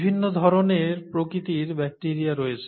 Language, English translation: Bengali, And, there are so many different types/ kinds of bacteria